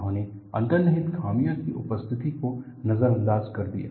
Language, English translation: Hindi, They ignored the presence of inherent flaws